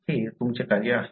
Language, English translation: Marathi, That’s your task